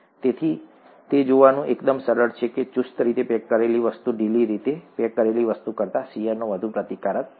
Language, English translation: Gujarati, So it is quite easy to see that the tightly packed thing is going to resist shear much more than the loosely packed thing